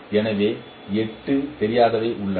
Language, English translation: Tamil, So there are eight unknowns